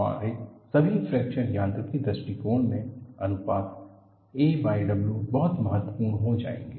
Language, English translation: Hindi, In all our fracture mechanics approach, the ratio of a by W will become very very important